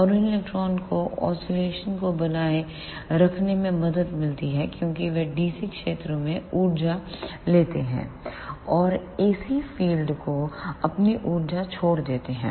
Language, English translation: Hindi, And those electron help in sustaining the oscillations as they take energy from the dc fields and give up their energy to the ac fields